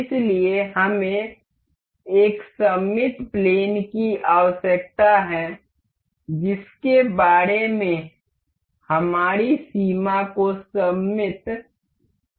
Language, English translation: Hindi, So, one we need to we need the symmetry plane about which the our limits has to have to be symmetric about